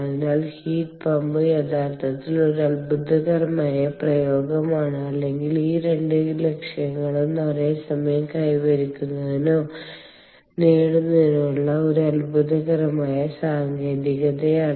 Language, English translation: Malayalam, so heat pump is actually a wonderful ah application, or or or, or, or rather a wonderful technique to attain or achieve simultaneously both these objectives